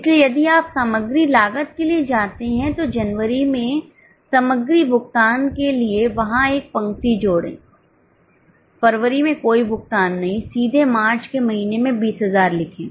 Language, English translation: Hindi, So, if you go for material cost, add a row there for material no payment in January no payment in February directly write 20,000 in the month of March